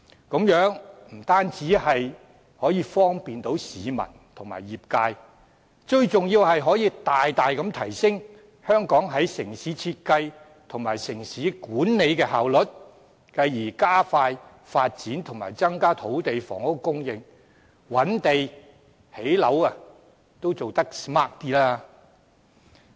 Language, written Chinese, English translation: Cantonese, 這樣不單方便市民和業界，最重要是可以大大提升香港在城市設計和城市管理的效率，繼而加快發展和增加土地及房屋供應，覓地和興建樓房也能因而做得更 smart。, Not only does it give convenience to people and the trade most importantly it can greatly enhance the efficiency of urban design and management in Hong Kong thereby expediting the development and increasing the supply of land and housing and thus land identification and housing construction can be carried out in a smarter way